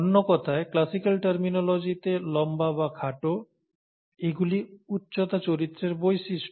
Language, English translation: Bengali, In other words, in terms of classic terminology; tall and short, these are the traits of the character height